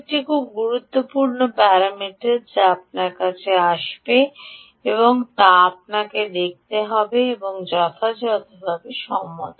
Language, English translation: Bengali, ok, one important parameter that will come to you, will you will have to see is with respect to accuracy